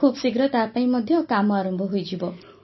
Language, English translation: Odia, Now that work is also going to start soon